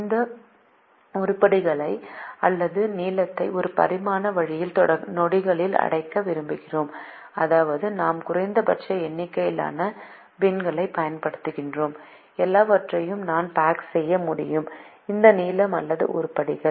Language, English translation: Tamil, i want to pack these items or length into bins in a one dimensional way, such that i use minimum number of bins and i am able to pack all these lengths or items